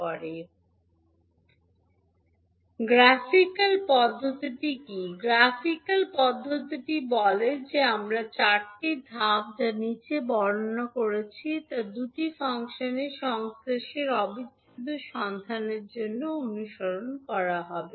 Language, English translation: Bengali, What is the graphical procedure, graphical procedure says that the four steps which we are describing below will be followed to find out the convolution integral of two functions